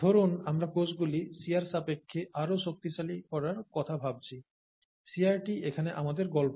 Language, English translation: Bengali, Suppose we think of making the cells more robust to shear, okay, shear is our story here